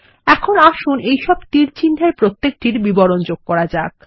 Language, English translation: Bengali, Now lets add descriptions to each of these arrows